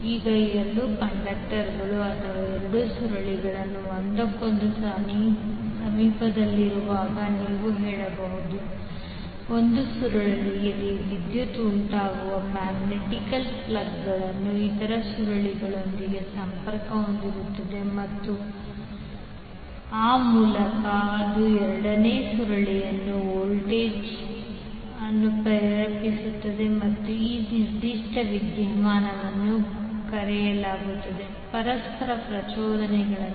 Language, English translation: Kannada, Now when two conductors or you can say when two coils are in a close proximity to each other the magnetics plugs caused by the current in one coil links with the other coil and thereby it induces the voltage in the second coil and this particular phenomena is known as mutual inductance